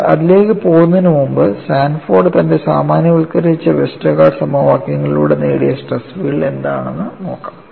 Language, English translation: Malayalam, You will also go to that; but before going to that, we will look at what was the stress field obtained by Sanford through his generalized Westergaard equations